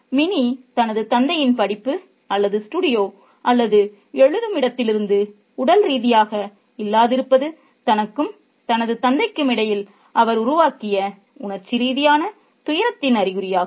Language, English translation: Tamil, The physical absence of Minnie from her father's study or studio or writing space is an indication of the emotional distancing that she has created between herself and her father